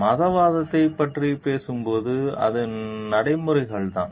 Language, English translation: Tamil, And when you talk of religiosity, it is the practices